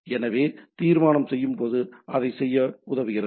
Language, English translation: Tamil, So, while resolution it helps in doing that